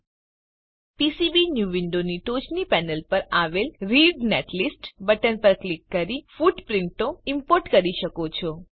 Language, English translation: Gujarati, Now you can import the footprints by clicking on Read netlist button on the top panel of PCBnew window